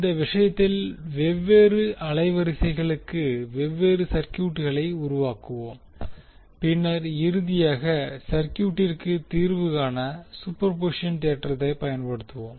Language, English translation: Tamil, So, in this case we will also create the different circuits for different frequencies and then finally we will use the superposition theorem to solve the circuit